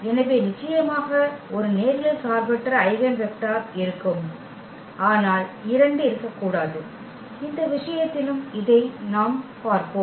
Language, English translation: Tamil, So, there will be definitely one linearly independent eigenvector, but there cannot be two this is what we will see in this case as well